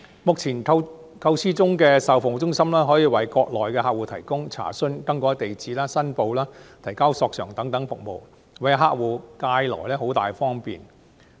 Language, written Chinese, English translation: Cantonese, 目前構思中的售後服務中心，可以為國內客戶提供查詢、更改住址、申報、提交索償等服務，為客戶帶來便利。, The proposed after - sale service centres will provide Mainland customers with services such as inquiries change of address declaration and submission of claims thus bringing convenience to customers